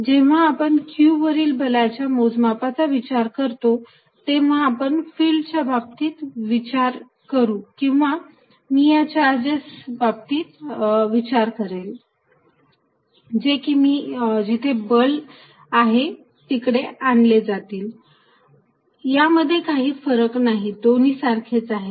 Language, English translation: Marathi, Now, as far as calculating force on q is concerned, whether I think in terms of fields or I think in terms of when this charges are brought to whether there is a force, it does not make a difference